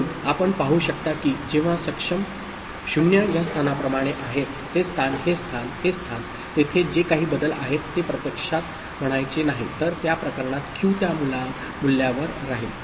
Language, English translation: Marathi, So, you can see that when enable is at 0 like this place, this place, this place, this place, right whatever changes are there it does not actually I mean, the Q will remain at that value in those cases